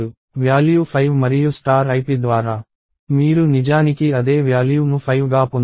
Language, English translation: Telugu, The value is 5 and through star ip, you actually get the same value 5